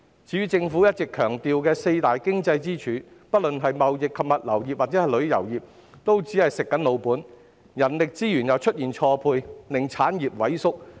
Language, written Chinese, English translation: Cantonese, 至於政府一直強調的四大經濟支柱，不論是貿易及物流業抑或旅遊業，都只是"食老本"，加上人力資源出現錯配，令產業萎縮。, As for the four key economic pillars that have been stressed by the Government both the trading and logistics industry and the tourism industry are just resting on their laurels which coupled with a mismatch of human resources has resulted in the shrinkage of industries